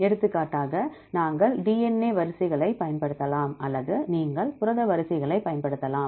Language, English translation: Tamil, For example, we can use we can use DNA sequences or you can use protein sequences